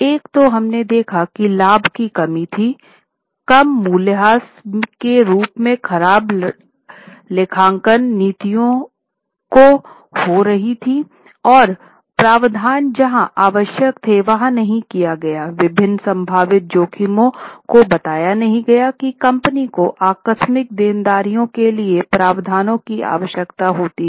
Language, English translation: Hindi, One is we have seen overstatement of profit, bad accounting policies in the form of lower depreciation, not making provisions where it was necessary, not stating various possible risks which could be contingent liabilities requiring provisions